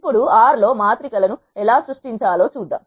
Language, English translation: Telugu, Now, let us see how to create matrices in R